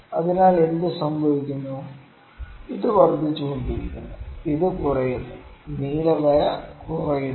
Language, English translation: Malayalam, So, what happens the, this is increasing, this is decreasing the blue line is decreasing